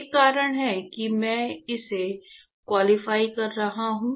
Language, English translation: Hindi, There is a reason why I am qualifying this